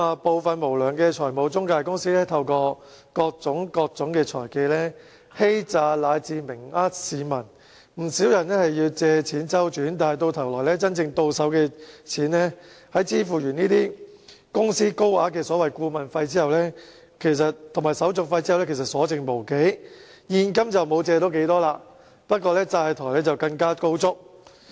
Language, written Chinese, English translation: Cantonese, 部分無良的財務中介公司透過各種財技，欺詐以至明目張膽欺騙市民，不少人需要借錢周轉，但到頭來真正到手的錢在支付公司高額的顧問費和手續費後，其實所剩無幾，現金借不到多少，反而更債台高築。, Some unscrupulous financial intermediaries cheat or even blatantly deceive the public through all kinds of financial skills . Many who needed to borrow money for cash flow ended up not receiving much cash but in heavy debts instead after paying high consultancy fees and administration fees